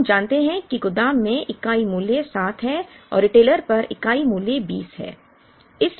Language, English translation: Hindi, And we assume that the unit price at the warehouse is 7 and the unit price at the retailer is 20